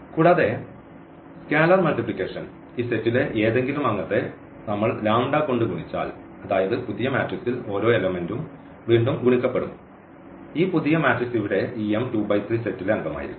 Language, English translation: Malayalam, And, also the scalar multiplication; so, when we multiply any member of this set here by lambda the new matrix will be just multiplied by lambda each component will be multiplied by lambda and again, this new matrix will be also a member of this set here M 2 3